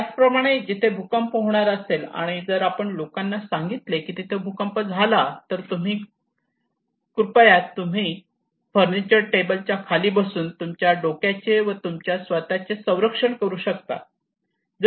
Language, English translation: Marathi, Similarly, if there is an earthquake if we tell people that once there is an earthquake, please protect yourself by going inside the furniture table, then you can protect your head